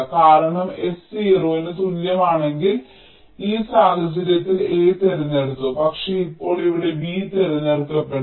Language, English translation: Malayalam, ok, this is not equivalent because if s equal to zero, in this case a was selected, but now here b will get be selected